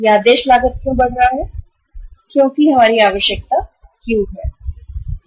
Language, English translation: Hindi, Why it is increasing the ordering cost because our requirement is Q